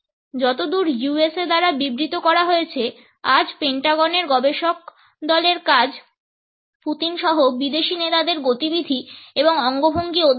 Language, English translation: Bengali, Today, the group of Pentagon researchers his job is to study the movements and gestures of foreign leaders including Putin